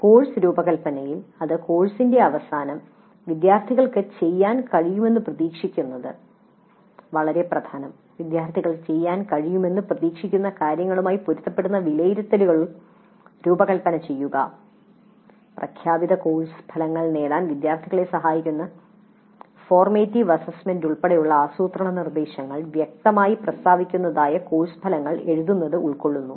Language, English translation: Malayalam, Designing assessments that are in alignment with what the students are expected to be able to do at the end of the course, designing assessments that are in alignment with what the students are expected to be able to do, then planning instruction including formative assessments that facilitate the students to attain the stated course outcomes